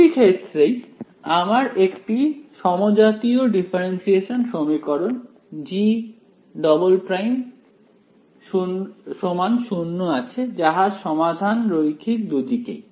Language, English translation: Bengali, In both of these cases, I have a homogenous differential equation which is G double prime equal to 0 solution is linear both sides right